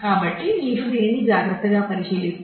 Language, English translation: Telugu, So, if you look into this carefully